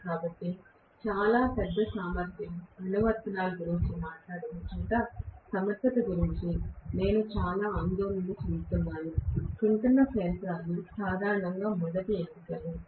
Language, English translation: Telugu, So, we are going to generally see that wherever very large capacity applications are talked about, where I am extremely concerned about the efficiency, synchronous machines generally are the first choices